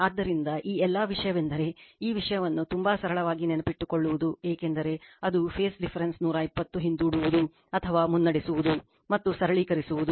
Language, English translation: Kannada, So, this all the thing is that you have to remember nothing to be this thing very simple it is right because, if phase difference is that 120 degree lagging or leading right and just you have to simplify